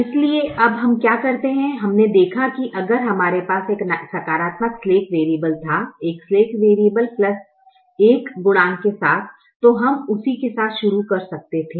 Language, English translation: Hindi, so what we do now is we observed that if we had a positive slack variable, a slacked variable with a plus one coefficient, then we could have started with that